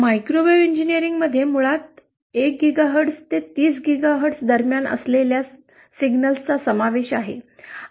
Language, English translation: Marathi, Microwave engineering basically involves signals which lie between 1 GHz to 30 GHz